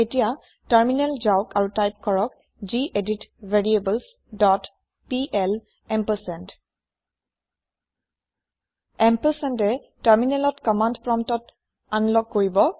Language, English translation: Assamese, Now open the Terminal and type gedit variables dot pl ampersand The ampersand will unlock the command prompt on the terminal